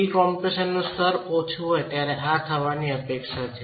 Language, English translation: Gujarati, As I said this is expected to occur when the level of pre compression is low